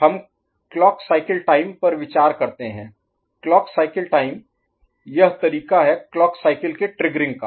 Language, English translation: Hindi, So we consider that the clock cycle time, clock cycle time, this is the way the clock is triggering, right